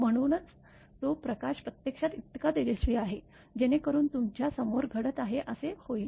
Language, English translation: Marathi, So, that is why that light is so bright actually; that it will happen as it is happening in front of you